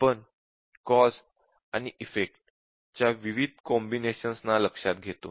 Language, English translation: Marathi, And then we look at various combinations of the causes and conditions